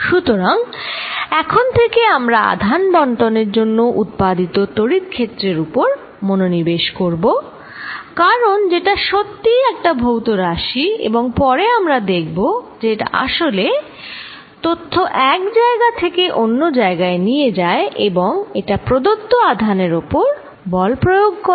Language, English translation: Bengali, So, from now onwards, we are going to focus on the electric field produced by charge distribution, because that is what really is a physical quantity, and later we will see that is what really you now take information from one place to the other or it apply forces on for a given charge